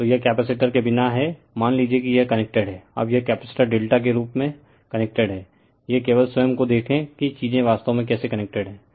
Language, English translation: Hindi, So, this is without capacitor suppose it is connected; now, this capacitors are connected in delta form this is given just you see yourself that how actually things are connected right